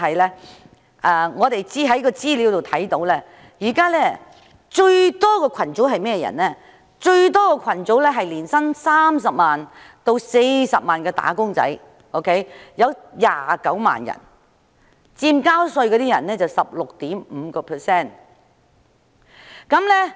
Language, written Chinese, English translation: Cantonese, 不過，資料顯示，納稅人數目最多的是年薪30萬元至40萬元的"打工仔女"，這個組別約有29萬人，佔納稅人的 16.5%。, However information shows that the largest number of taxpayers belong to wage earners with an annual income between 300,000 and 400,000 and there are about 290 000 of them accounting for 16.5 % of taxpayers